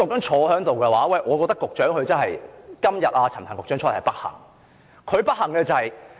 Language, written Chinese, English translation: Cantonese, 我認為局長真的是......今天陳帆局長在此，是不幸的。, In my view the Secretary is really It is unfortunate that Secretary Frank CHAN is here today